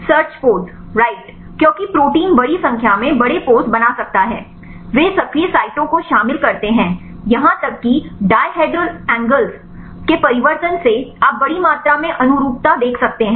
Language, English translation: Hindi, Poses right because the protein can form large number of poses, they involve active sites even the change of dihedral angles right you can see large amount of conformations